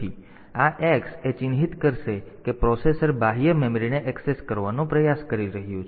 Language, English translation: Gujarati, So, this x; so, this will mark that a processor should is trying to access the external memory